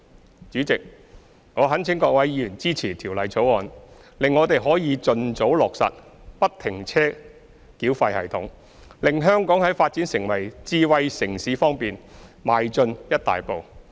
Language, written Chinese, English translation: Cantonese, 代理主席，我懇請各位議員支持《條例草案》，使我們可以盡早落實不停車繳費系統，令香港在發展成為智慧城市方面邁進一大步。, Deputy President I implore Members to support the Bill so that we can implement FFTS as soon as possible thereby enabling Hong Kong to take a big step in its development into a smart city